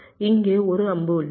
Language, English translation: Tamil, there is an arrow here, there is an arrow here